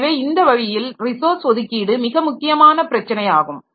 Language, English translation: Tamil, So, this way the resource allocation is a very important issue